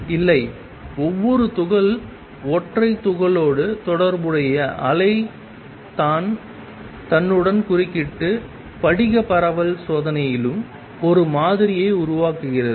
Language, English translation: Tamil, No, it is the wave associated with each particle single particle that interference with itself and creates a pattern same thing in the crystal diffraction experiment also